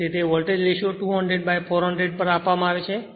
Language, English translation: Gujarati, So, that Volt ratio is given 200 by your what you call 400 right